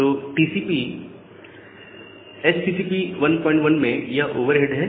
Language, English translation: Hindi, So that is the overhead for HTTP 1